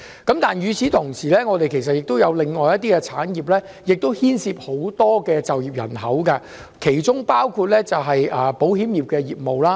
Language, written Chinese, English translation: Cantonese, 但是，與此同時，我們也有其他牽涉很多就業人口的產業，其中包括保險業。, There are also other industries that employ large numbers of people in Hong Kong . One of them is the insurance industry